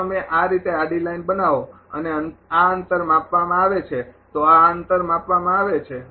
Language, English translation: Gujarati, If you make a horizontal line thi[s] like this and this distance is given this distance is given